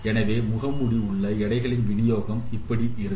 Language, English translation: Tamil, So the distribution of the weights in the mask will look like this